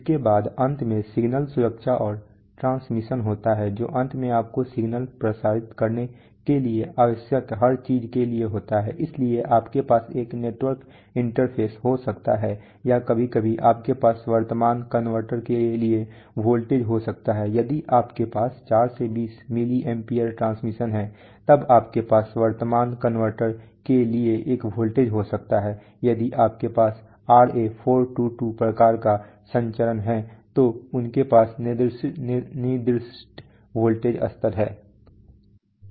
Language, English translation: Hindi, Followed by, finally there is signal protection and transmission that is after finally for everything you need to transmit the signal, so you can have a network interface or sometimes you can have a voltage to current converter if you are having 4 to 20 milli amperes transmission then you can have a voltage to current converter, if you are having RA422 kind of transmission then they have specified voltage levels